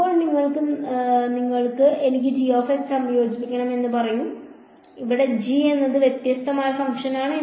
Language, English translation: Malayalam, Now you come along tomorrow and say no I want integrate g of x, where g is some different function